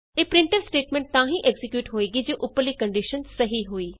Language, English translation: Punjabi, This printf statement is executed if the above condition is true